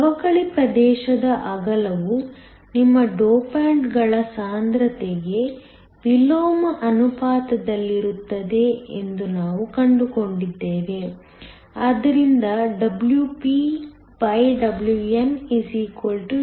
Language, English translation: Kannada, We also found that the width of the depletion region was inversely proportional to the concentration of your dopants, so that WpWn = NDNA